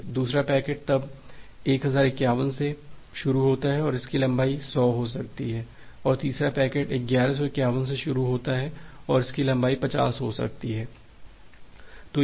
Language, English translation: Hindi, The second packets starts from then 1051 and it can have a length of 100 then the third packet starts from 1151 and it can have a length of another 50